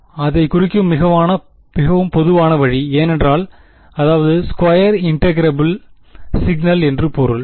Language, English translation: Tamil, This is the most general possible way of representing it because it is I mean square integrable signal that I have ok